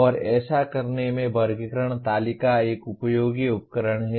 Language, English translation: Hindi, And in doing so, the taxonomy table is a useful tool